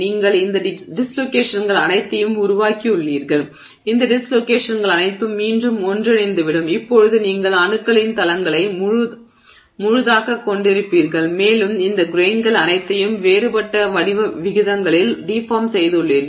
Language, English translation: Tamil, So, you have formed all these dislocations and now those dislocations will recombine and you will now have you know full planes of atoms and you have deformed this you know all the grains into some different totally different aspect ratios